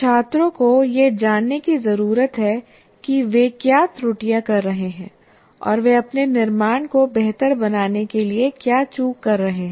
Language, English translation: Hindi, The students, they need to know what are the errors they're committing and what are the omissions they're making to improve their constructs